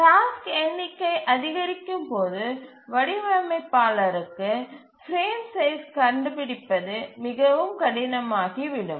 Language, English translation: Tamil, So as the number of tasks increases it may become very difficult for the designer to find a frame size